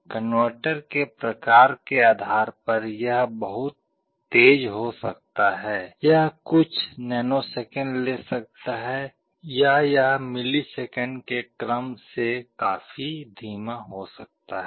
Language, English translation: Hindi, Depending on the type of converter it can be very fast, it can take few nanoseconds, or it can be quite slow of the order of milliseconds